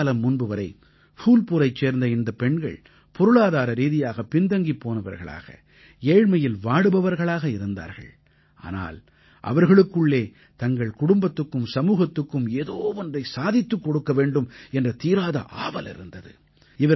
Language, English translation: Tamil, Till some time ago, these women of Phulpur were hampered by financial constraints and poverty, but, they had the resolve to do something for their families and society